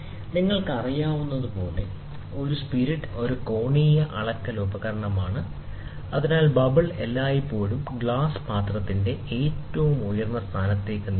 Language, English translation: Malayalam, So, a spirit, as you are aware, is an angular measuring device in which the bubble always moves to the highest point of the glass vial